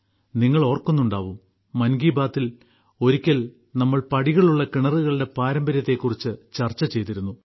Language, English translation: Malayalam, You will remember, in 'Mann Ki Baat' we once discussed the legacy of step wells